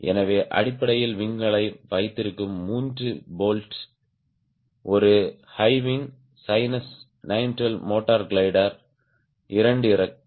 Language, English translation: Tamil, so basically three bolts which are holding the wing, the two wings of a high wings sinus sin one, two, motor glider